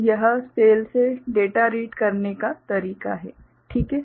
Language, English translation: Hindi, So, this is the way data is read from the cell, fine